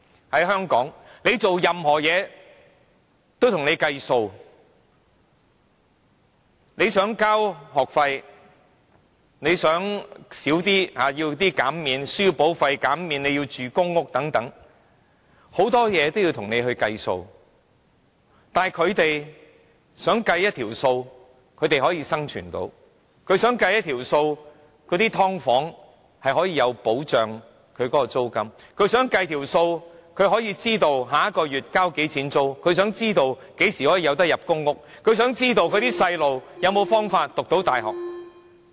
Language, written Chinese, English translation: Cantonese, 在香港，甚麼也要計數，例如你要繳交學費、要求減免書簿費、入住公屋等，這些都要經過一輪計算，但他們也想找出一條可以讓他們生存的公式，讓他們住在"劏房"也可以有租金保障、讓他們知道下個月要繳交多少租金、讓他們知道何時可以入住公屋、讓他們知道子女有沒有方法可以入讀大學。, In Hong Kong calculations have to be made for everything say if you have to pay school fees apply for remission for textbook costs apply for PRH flats and so on calculations have to be made for all these things . But they also wish to have a formula for them to survive enabling them to enjoy rent protection even if they live in subdivided units to know how much they will have to pay in rent next month to know when they can move into a PRH flat and to know if there is a way for their children to go to university